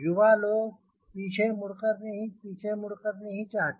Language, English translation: Hindi, young people do not like to go back